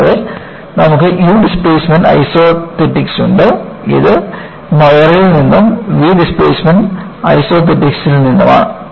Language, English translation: Malayalam, And, you have u displacement isothetics; it is from Moire and v displacement isothetics